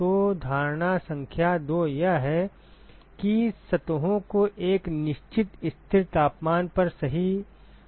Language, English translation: Hindi, So, assumption number 2 is the surfaces are maintained at a certain constant temperature right